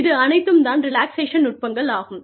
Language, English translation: Tamil, So, these are relaxation techniques